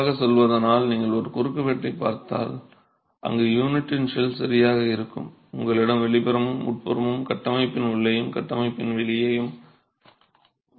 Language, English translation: Tamil, Strictly speaking if you look at if you look at a cross section where you have the shell of the unit itself, you have the outer and the inner inside of the structure and outside of the structure and then you have the core material which is now concrete